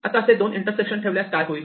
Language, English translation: Marathi, Now, what happens if we put 2 such intersections